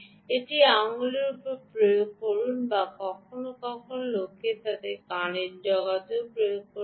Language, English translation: Bengali, apply it either to the finger or sometimes people also apply to the ear tip